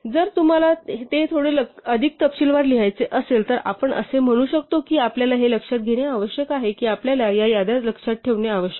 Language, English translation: Marathi, If you have to write it down in little more detail, then we could say that we need to notice that we need to remember these lists, right, and then come back to them